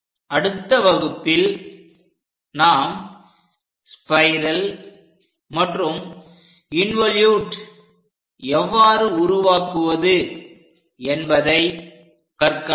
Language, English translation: Tamil, In the next class we will learn about how to construct spiral and involute